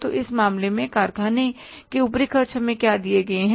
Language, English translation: Hindi, So what are the factory overheads are given to us in this case